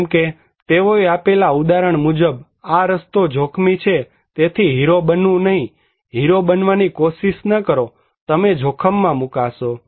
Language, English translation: Gujarati, Like the example they have given that, this road is in danger, so do not be flamboyant, do not try to be hero, you will be at risk